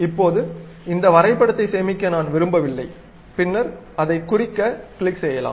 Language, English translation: Tamil, Now, I do not want to save this drawing, then I can straight away click mark it